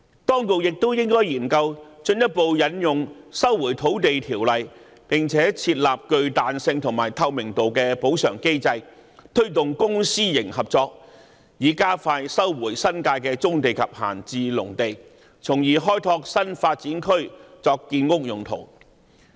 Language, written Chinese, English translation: Cantonese, 當局也應研究進一步引用《收回土地條例》，並設立具彈性和透明度的補償機制，推動公私營合作，以加快收回新界的棕地及閒置農地，從而開拓新發展區作建屋用途。, The authorities should also study further invocation of the Lands Resumption Ordinance to set up a flexible and transparent compensation mechanism and promote public - private partnership for expeditious resumption of brownfield sites and idle agricultural land in the New Territories thereby opening up new development areas for the construction of housing